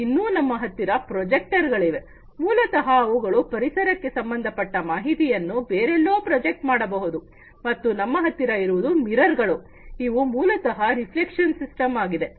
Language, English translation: Kannada, Then we have the projectors, these projectors, basically, they project the information about the environment to somewhere and then we have the mirrors this is basically the reflection system